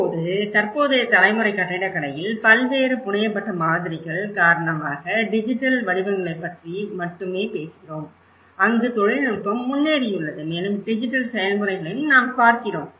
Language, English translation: Tamil, And now, in the present generation of architecture, we are talking about not only the digital forms because of various fabricated models, where technology has been advanced and also we are looking at the digital processes as well